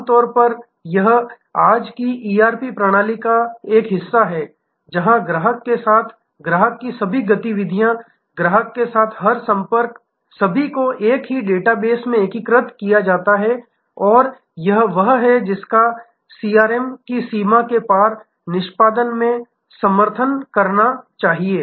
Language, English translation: Hindi, Usually this is part of today's ERP system, where the entire a every contact with the customer all activities with the customer are all the integrated into the same database and that is the one which must support this across boundary execution of CRM